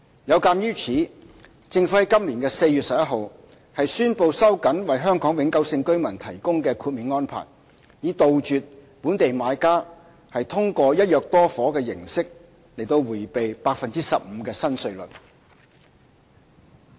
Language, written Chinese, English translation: Cantonese, 有鑒於此，政府在今年4月11日宣布收緊為香港永久性居民提供的豁免安排，以杜絕本地買家通過"一約多伙"的形式迴避 15% 的新稅率。, Against such background the Government announced the tightened exemption arrangement for HKPRs on 11 April this year to eradicate local buyers practice of buying multiple flats under one agreement to evade the new rate of 15 %